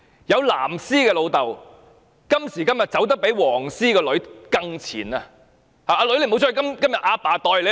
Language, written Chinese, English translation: Cantonese, 有"藍絲"的父親今時今日走得比"黃絲"的女兒更前，叫女兒不要出去，由爸爸代她出去。, Some fathers who used to be blue ribbons now even walk ahead of their daughters who are yellow ribbons . They tell their daughters not to go out and they as their fathers will go out for them